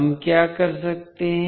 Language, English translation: Hindi, What we can do